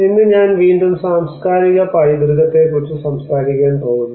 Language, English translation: Malayalam, Today I am going to talk about cultural heritage re assembled